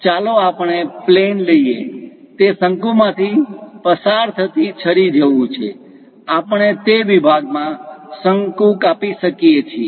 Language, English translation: Gujarati, Let us take a plane, is more like taking a knife passing through cone; we can cut the cone perhaps at that section